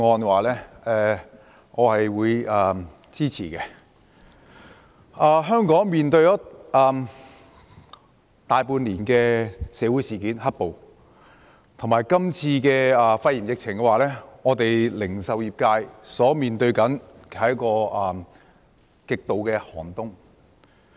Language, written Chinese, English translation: Cantonese, 香港經歷了大半年的"黑暴"事件，加上這次肺炎疫情，零售業界所面對的是極度寒冬。, Hong Kong has been experiencing black violence for more than half a year and now hit by the coronavirus epidemic the retail industry is facing a harsh winter